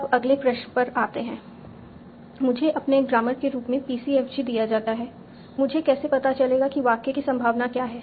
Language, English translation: Hindi, I am given the PCFG as my grammar how do I find out what is the probability of the sentence